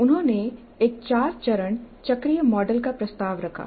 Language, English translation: Hindi, He proposed a four stage cyclic model